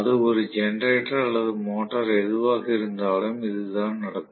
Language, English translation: Tamil, That is what happens whether it is a generator or motor